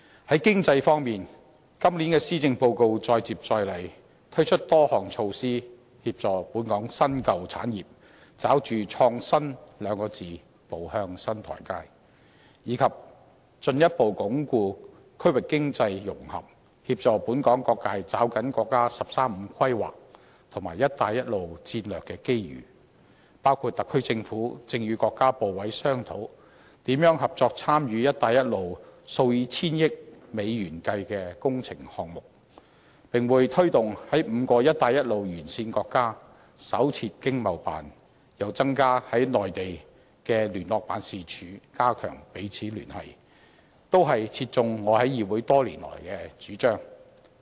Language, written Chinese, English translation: Cantonese, 在經濟方面，今年的施政報告再接再厲，推出多項措施協助本港新、舊產業抓住"創新"兩字步向新台階，以及進一步鞏固區域經濟融合，協助本港各界抓緊國家"十三五"規劃及"一帶一路"的戰略機遇，包括特區政府正與國家部委商討，如何合作參與"一帶一路"數以千億美元計的工程項目，並會推動在5個"一帶一路"沿線國家新設經濟貿易辦事處，又增加在內地的聯絡辦事處，加強彼此聯繫，這些都切中我在議會多年來的主張。, It also helps further consolidating regional economic integration and assists various sectors in Hong Kong to seize the strategic opportunities presented by the National 13 Five - Year Plan and the Belt and Road Initiative . The Special Administrative Region Government is now in discussion with the Countrys ministries and commissions on joint participation in the works projects under the Belt and Road Initiative which are valued at hundreds of billions US dollars . The Government will also take forward the plan to establish new economic and trade offices in five countries along the Belt and Road on top of increasing the number of liaison units in the Mainland to strengthen our connection